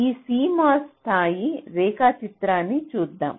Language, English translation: Telugu, so let us look at this cmos level diagram